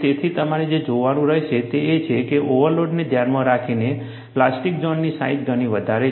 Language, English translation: Gujarati, So, what you will have to look at is, in view of an overload, the plastic zone size is much larger